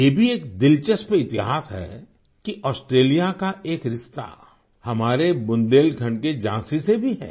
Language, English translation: Hindi, There's an interesting history as well…in that, Australia shares a bond with our Jhansi, Bundelkhand